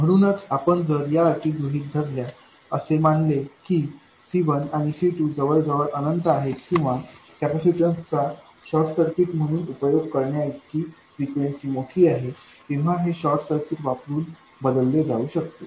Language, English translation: Marathi, So, if you assume these conditions, if you assume that C1 and C2 are tending to infinity or that the frequency is large enough for you to treat the capacitance as short circuits, these can be replaced by short circuits